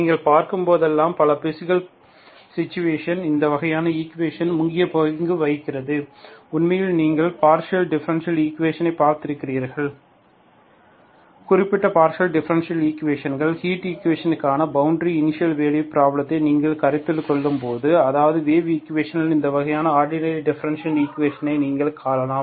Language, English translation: Tamil, That is where you see, whenever you see, in many physical situations, these kinds of equation play an important role, that you have actually seen in the partial differential equation, when you consider boundary initial value problem for certain partial differential equations, heat equation or wave equation you may come across this kind of ordinary differential equations